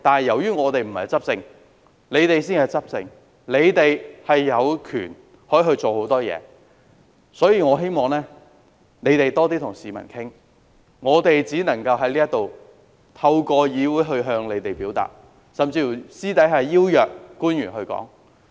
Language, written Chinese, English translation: Cantonese, 由於我們不是執政者，他們才是執政者，有權做很多事情，我希望他們多些與市民溝通，我們只能夠透過議會向他們表達，甚至私下邀約官員討論。, We are not the governing party but they are and they have the power to do more . I hope that they will engage in more communication with the public . We can only convey our views to them through the legislature or even invite officials to engage in discussions in private